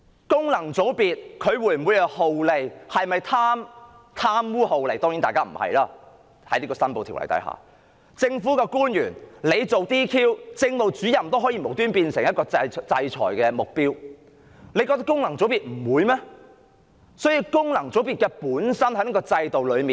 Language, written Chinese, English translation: Cantonese, 當然，各位功能界別的議員不是貪污酷吏......假如政務主任也可無故成為被制裁的目標，難道政府認為功能界別不會被制裁嗎？, Certainly FC Members are not corrupt or oppressive officials if Administrative Officers can become a target of sanction without a cause does the Government think FCs will not face sanctions?